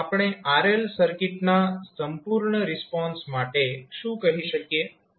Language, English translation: Gujarati, So, what we can say that the complete response of RL circuit